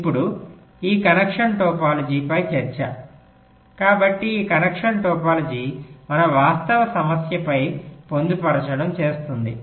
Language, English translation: Telugu, so this connection topology will be doing embedding on our actual problem